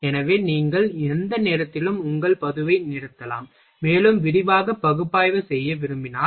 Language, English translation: Tamil, So, you can stop your recording any time and also if you want to analyze in a detail